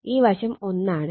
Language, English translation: Malayalam, 5 this is also 1